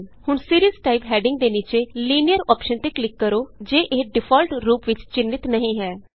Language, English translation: Punjabi, Now click on the Linear option, under the heading Series type, if it is not selected by default